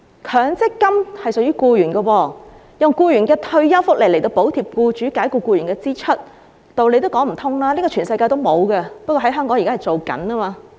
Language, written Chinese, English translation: Cantonese, 強積金屬於僱員，用僱員的退休福利來補貼僱主解僱僱員的支出，道理也說不通，這是全世界也沒有的，只不過香港正在做。, It does not make sense to use employees MPF accrued benefits which are their retirement benefits to subsidize employers expenses of dismissing them . This is not found anywhere else in the world but is only happening in Hong Kong